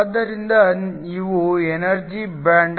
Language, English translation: Kannada, So, These are energy band